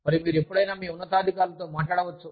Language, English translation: Telugu, And, you can talk to your superiors, anytime